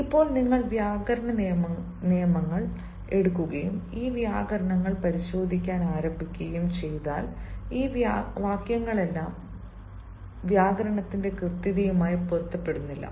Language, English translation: Malayalam, now, if you take the rules of grammar and if you start examining these sentences, all these sentences do not confirm to the correctness of grammar